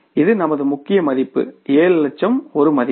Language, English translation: Tamil, This is our main figure that is the 7 lakh is the main figure